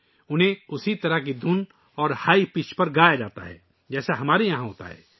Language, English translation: Urdu, They are sung on the similar type of tune and at a high pitch as we do here